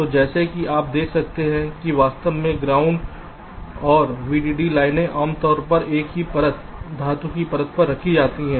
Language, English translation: Hindi, actually ground and v d d lines are typically laid out on the same layer, metal layer